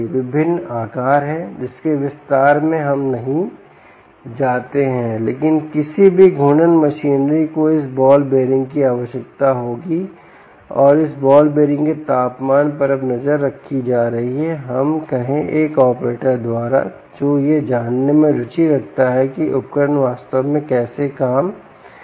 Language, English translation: Hindi, there are different sizes ok, lets not get into that detail but any rotating machinery will require this ball bearing, and this ball bearing temperature is now being monitored by, lets say, an operator who is interested in knowing how the equipment is actually functioning